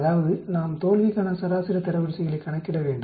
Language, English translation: Tamil, That means we need to calculate the median ranks for the failure